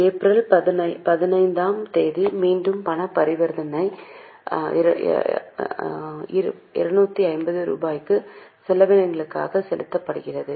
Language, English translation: Tamil, On 15th April, again there is a cash transaction, paid cash for rupees 250 for expenses